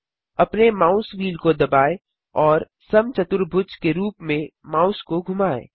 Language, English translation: Hindi, Press down your mouse wheel and move the mouse in a square pattern